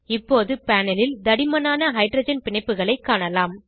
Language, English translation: Tamil, Now on the panel we can see thicker hydrogen bonds